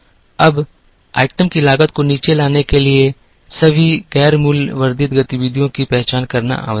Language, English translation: Hindi, Now, in order to bring down the cost of the item, it was necessary to identify all the non value added activities